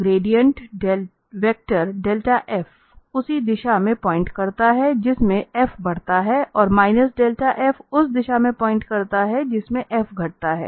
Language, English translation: Hindi, So, again to summarize that the gradient vector delta f point in the direction in which f increases most rapidly and the minus del f points in the direction in which f decreases most rapidly